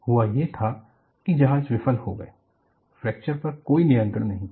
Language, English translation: Hindi, What happened was, the ships failed; there was absolutely no control on fracture